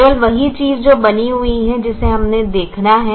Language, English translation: Hindi, that is the only thing that remains that we have to see